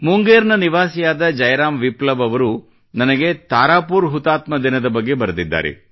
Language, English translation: Kannada, Jai Ram Viplava, a resident of Munger has written to me about the Tarapur Martyr day